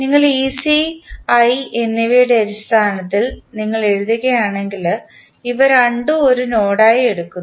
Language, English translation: Malayalam, If you write then you write in terms of the ec and i, so, we take these two as a node